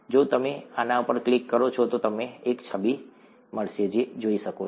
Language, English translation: Gujarati, If you click on this, you will get an image that you could see